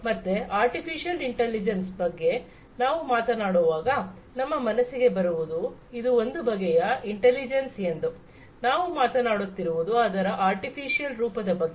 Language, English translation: Kannada, So, when we talk about artificial intelligence, what comes to our mind, it is some form of intelligence, we are talking about an artificial form of it